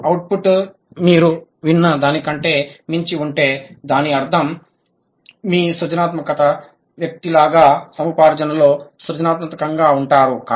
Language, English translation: Telugu, If you are your output is beyond what you have heard, that means you are creative in acquisition, like you have been a creative person